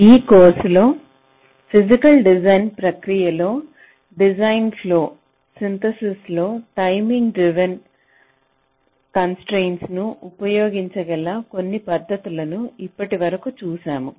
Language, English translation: Telugu, so in this ah course we have seen so far some of the techniques where you can ah use the timing driven constraints in synthesis in the design flow for the physical design process